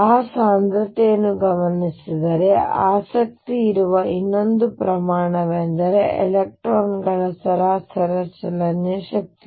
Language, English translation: Kannada, Given that density another quantity which is of interest is the average kinetic energy of electrons